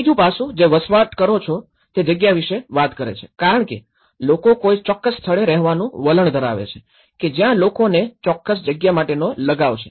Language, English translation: Gujarati, The third aspect, which is talking about the lived space as the people tend to live at a particular place that is where an invisible degree of people's attachment to a certain place